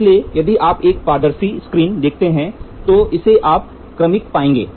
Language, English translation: Hindi, So, if you see a transparent screen, so here you can have graduations